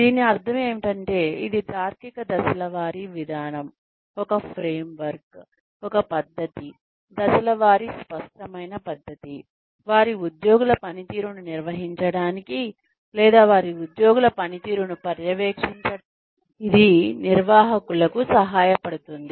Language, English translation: Telugu, All it means is, that it is a logical step by step procedure, a framework, a method, a step by step clear cut method, that helps managers, manage the performance of their employees, or oversee the performance of their employees